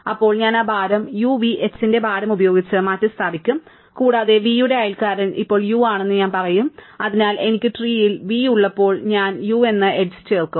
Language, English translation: Malayalam, Then, I will replace that weight by the weight of the u v h and I will say the neighbour of v is now u, so that when I add v to the tree, I will add the edge u